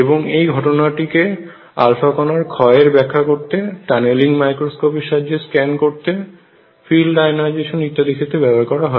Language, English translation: Bengali, And this has been used to explain alpha particle decay and to make scan in tunneling microscope use it in field ionization and so on